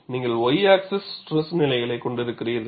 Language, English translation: Tamil, On the y axis, you have the failure stress